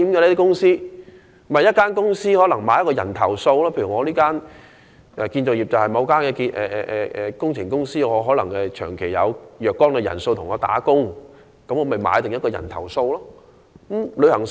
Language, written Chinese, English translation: Cantonese, 不就是一間公司為某些人購買保險，例如某間建築工程公司可能長期有若干的工人為其工作，便為該等工人購買保險。, A company will take out insurance for their workers . For example if a construction firm has employed a number of workers who are going to work for some time it will just take out insurance for these workers